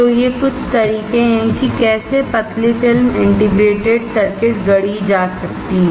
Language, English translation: Hindi, So, these are some of the methods of how the thin film integrated circuit can be fabricated